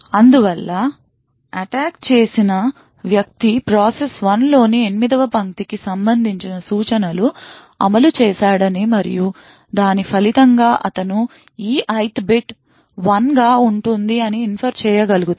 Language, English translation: Telugu, Thus the attacker would be able to infer that the instructions corresponding to line 8 in the process 1 has executed, and as a result he could infer that the E Ith bit happens to be 1